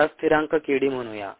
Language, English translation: Marathi, let us call this constant k d